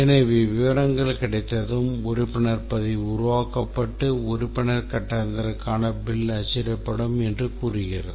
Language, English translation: Tamil, So, that's what it says that once the details are obtained, membership record is created and the bill is printed for the membership charge